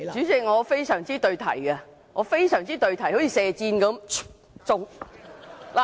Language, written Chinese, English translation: Cantonese, 代理主席，我非常對題，一如射箭般，中！, Deputy President my speech is very relevant just like shooting an arrow and hit a bulls - eye!